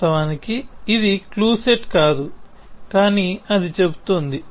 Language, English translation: Telugu, Of course, it is not a clue set will, but that is what it saying